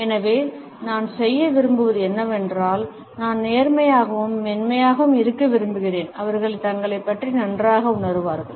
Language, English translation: Tamil, So, what I like to do is; I like to just be gentle and soft and hopefully they will feel better about themselves